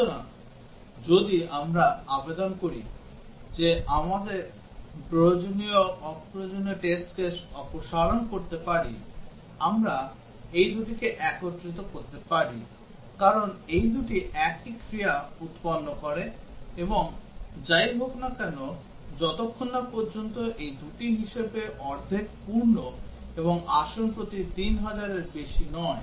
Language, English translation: Bengali, So, if we apply that we can remove the redundant test cases, we can combine these two, because these two produce same action; and irrespective as along as these two are no more than half full and more than 3000 per seat